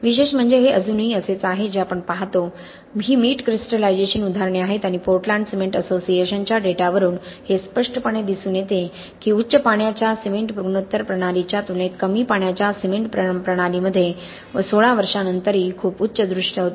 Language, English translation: Marathi, So interestingly this is still something which we observe this is examples of salt crystallization and again data from Portland cement association which clearly show that compared to a high water cement ratio system a low water cement ratio system even after 16 years had a very high visual rating after being exposed to very aggressive sulphate solutions, okay